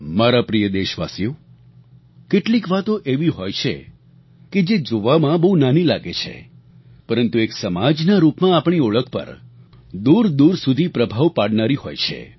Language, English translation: Gujarati, My dear countrymen, there are a few things which appear small but they have a far reaching impact on our image as a society